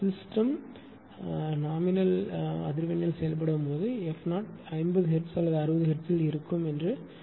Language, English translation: Tamil, When it was operating at nominal system frequency say f 0 F 0 may be 50 hertz 50 hertz system or 60 hertz per 60 hertz system, right